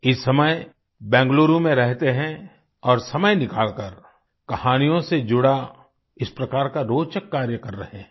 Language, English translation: Hindi, Presently, he lives in Bengaluru and takes time out to pursue an interesting activity such as this, based on storytelling